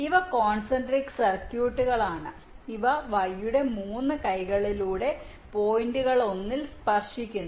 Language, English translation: Malayalam, these are concentric circuits which are touch in one of the points along each of the three arms of the y